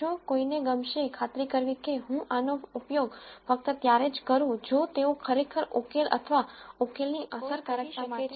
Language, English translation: Gujarati, What 1 would like to do is make sure that I use these only if they really contribute to the solution or to the efficacy of the solution